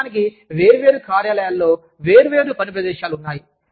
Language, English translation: Telugu, Of course, different offices have, different workplaces